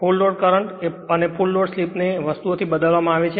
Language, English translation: Gujarati, Full load your full load current and full load slip just replace by those things right